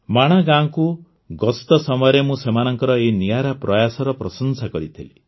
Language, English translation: Odia, During my visit to Mana village, I had appreciated his unique effort